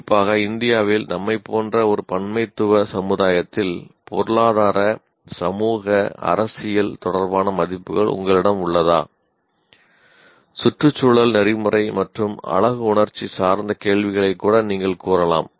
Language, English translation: Tamil, So, you have, especially in a pluralistic society like ours in India, do you have values related to economic, social, political, and you can even say environmental, ethical and aesthetic questions